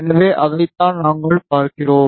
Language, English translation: Tamil, So, that is what we are looking at